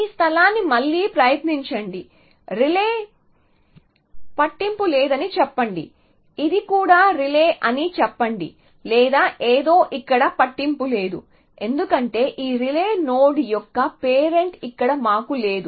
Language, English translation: Telugu, Retry this space, let us say the relay does not matter let us say this also relay or something does not matter how can it go here and how can it do this type because we do not have the parent of this relay node here